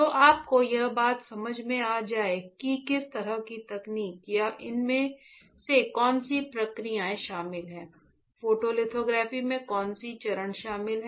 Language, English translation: Hindi, So, that you get the point that what kind of technique or what are the processes involved, what are the steps involved in photolithography right